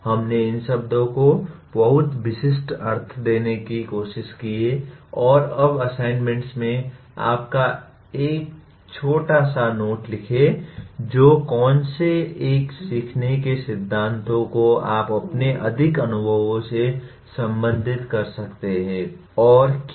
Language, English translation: Hindi, We tried to give very specific meaning to these words and now coming to the assignments, you write a small note which one of the learning theories you can relate to more in your experiences and why